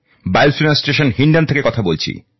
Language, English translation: Bengali, Speaking from Air Force station Hindon